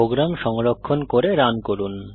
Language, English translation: Bengali, Save and Run the program